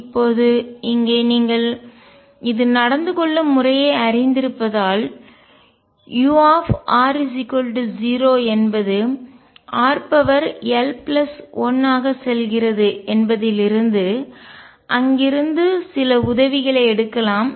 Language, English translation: Tamil, Now here since you know the behaviour you can take some help from there u at r equals 0 goes as r raise to l plus 1